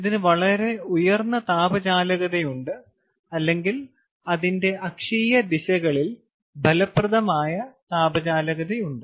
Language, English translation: Malayalam, ok, it has a very, extremely high thermal conductivity, or effective thermal conductivity along its axial directions